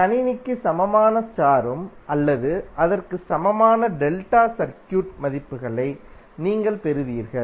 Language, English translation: Tamil, And you will get the values of equivalent star or equivalent delta circuit for the system